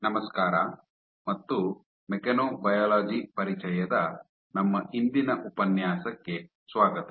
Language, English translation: Kannada, Hello and welcome to our today’s lecture of Introduction to Mechanobiology